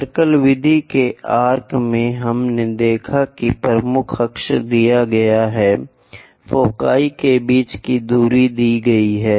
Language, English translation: Hindi, In arc of circle method, we have seen major axis is given, the distance between foci is given